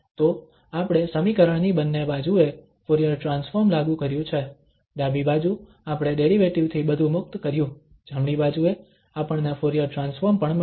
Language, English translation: Gujarati, So we have applied the Fourier transform to both the sides of the equation, the left hand side we got everything free from the derivative, the right hand side we got also the Fourier transform